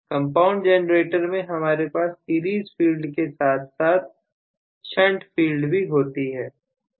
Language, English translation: Hindi, So, in a compound generator I am going to have basically a series field as well as shunt field